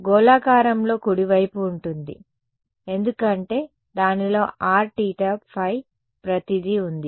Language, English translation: Telugu, Spherical right because it has r theta phi everything is there inside it